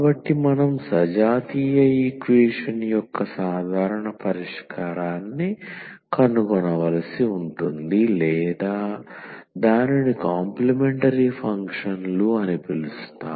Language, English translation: Telugu, So, we have to find a general solution of the homogenous equation or rather we call it complementary functions